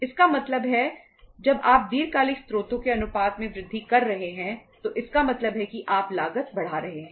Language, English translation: Hindi, It means when you are increasing the proportion of long term sources it means you are increasing the cost